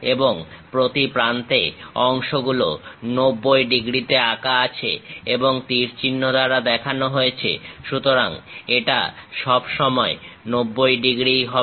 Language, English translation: Bengali, And the segments at each end drawn at 90 degrees and terminated with arrows; so, this always be having 90 degrees